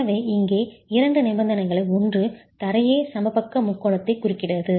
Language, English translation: Tamil, One is that the floor itself is intercepting the equilateral triangle